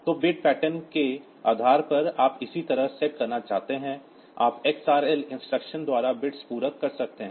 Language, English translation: Hindi, So, depending upon the bit pattern you want to set similarly you can have compliment bits by the xrl instruction